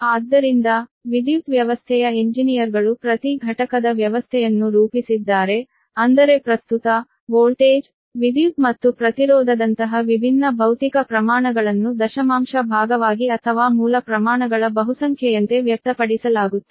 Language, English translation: Kannada, right, so thats why the power system engineers has devised a power unit system such that different physical quantities, such as current voltage, power and impedance, are expressed as decimal fraction or multiple of base quantities